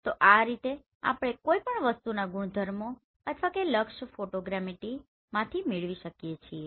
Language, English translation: Gujarati, So this is how we are going to derive this properties of any objects or the target from this photogrammetry